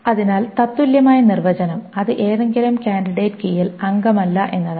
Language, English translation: Malayalam, So the equivalent definition, it is not a member of any candidate key